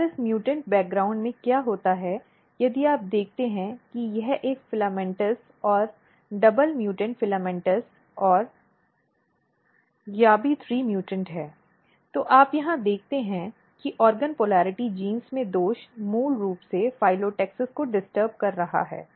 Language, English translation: Hindi, And, what happens in this mutant background if you look this is a filamentous and the double mutant filamentous and yabby3 mutants, what you see that the defect in the polarity genes in the organ polarity genes is basically disturbing the phyllotaxis